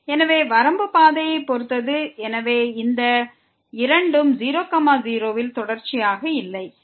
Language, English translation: Tamil, So, the limit depends on the path and hence these two are not continuous at 0 0